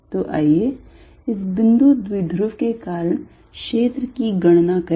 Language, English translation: Hindi, So, let us calculate the field due to this point dipole